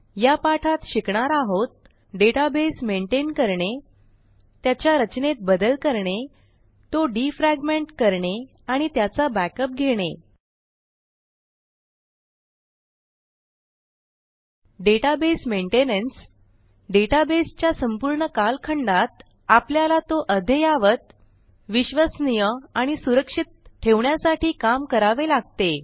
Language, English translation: Marathi, In this tutorial , we will learn how to Maintain a Database Modify Database Structure Defragment a database And take Backups Database Maintenance Throughout the life of a Base database, we will need to take steps to keep the data up to date, reliable and safe